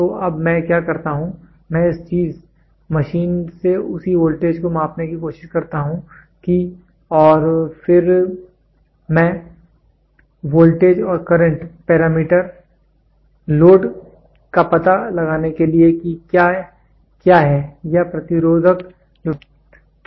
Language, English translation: Hindi, So, now, what I do is I try after this thing machine to measure the voltage same and then I, voltage and current parameter to find out the load what is there or resistance what is been getting developed